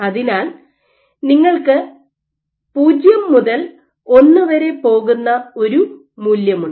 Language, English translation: Malayalam, So, you have a value which goes from 0 all the way to 1